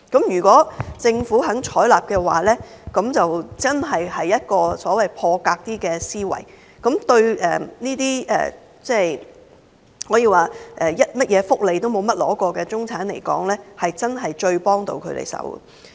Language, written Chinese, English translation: Cantonese, 如果政府願意採納這建議，便是所謂的"破格"思維，對沒有領取過任何福利的中產人士來說，這是最能幫到他們的措施。, If the Government is willing to take this suggestion on board it will be really thinking out of the box to provide the middle class who has never received social welfare with the most effective relief